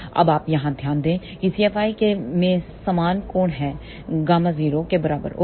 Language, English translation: Hindi, Now, you can note here that C F i has same angle as that of gamma 0, ok